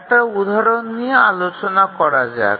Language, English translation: Bengali, Let's look at one example here